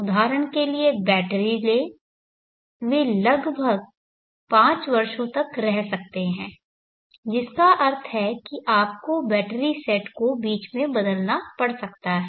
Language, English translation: Hindi, Take for example batteries they may last for around 5 years which means that you may have to replace the batteries sets in between